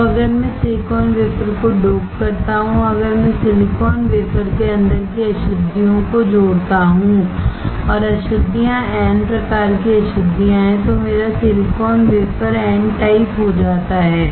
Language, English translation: Hindi, Now, if I dope the silicon wafer, if I add the impurities inside the silicon wafer and the impurities are n type impurities, then my silicon wafer becomes n type